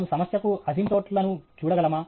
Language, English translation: Telugu, Can we look at asymptotes to the problem